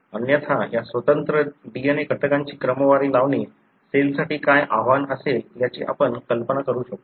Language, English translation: Marathi, Otherwise, you can imagine as to what would be the challenge for the cell to sort these individual DNA elements